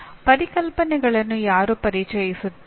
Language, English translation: Kannada, Who introduces the concepts